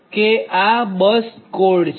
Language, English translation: Gujarati, so this is the bus code